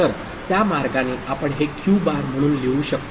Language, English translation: Marathi, So, that way we can write it to be Q bar, ok